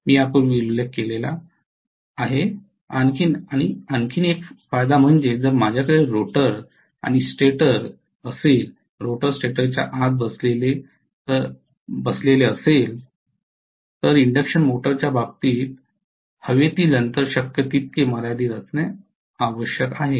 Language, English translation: Marathi, One more advantage which I had not mentioned earlier is if I am having the rotor and stator, the rotor is sitting inside the stator, the air gap has to be as limited as possible in the case of an induction machine